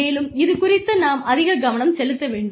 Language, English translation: Tamil, And, we need to pay a lot of attention to this